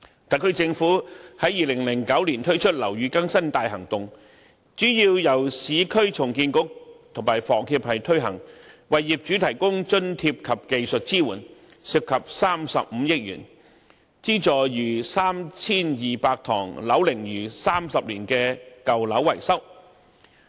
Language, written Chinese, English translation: Cantonese, 特區政府於2009年推出"樓宇更新大行動"，主要由市區重建局與香港房屋協會推行，為業主提供津貼及技術支援，涉及35億元，資助逾 3,200 幢樓齡逾30年的舊樓進行維修。, The SAR Government rolled out the Operation Building Bright in 2009 which is mainly implemented by the Urban Renewal Authority URA and the Hong Kong Housing Society HKHS to provide subsidies and technical support to owners . It involves a sum of 3.5 billion for subsidizing the repairs of over 3 200 old buildings aged 30 years or above